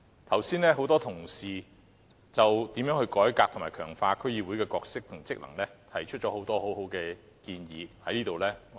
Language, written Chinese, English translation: Cantonese, 剛才很多同事就如何改革和強化區議會的角色和職能，提出了很多很好的建議。, Just now many Honourable colleagues have made a lot of good proposals regarding how the role and functions of District Councils DCs can be reformed and strengthened